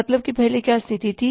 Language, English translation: Hindi, Earlier what was the reason